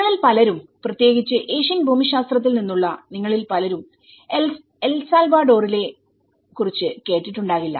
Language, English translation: Malayalam, So many of you at least from the Asian geographies, many of you may not have heard of El Salvador